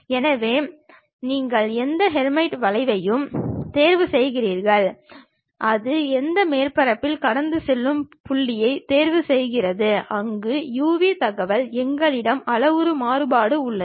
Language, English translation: Tamil, So, you pick any Hermite curve, which is passing on that surface pick that point, where u v information we have parametric variation